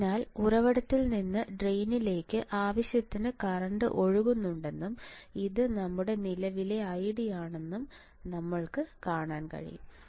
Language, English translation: Malayalam, So, that we can see that sufficient amount of current is flowing from source to drain right and this is your current I D this is your current I D ok